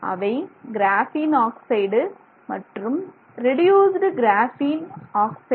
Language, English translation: Tamil, One is called graphene oxide and the other is called reduced graphene oxide